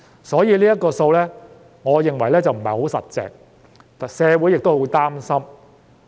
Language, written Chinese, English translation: Cantonese, 所以，我認為這數字並不牢靠，社會也十分擔心。, In light of this I think the figures are not reliable and society is also very concerned